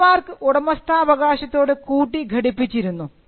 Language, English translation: Malayalam, So, trademarks were tied to ownership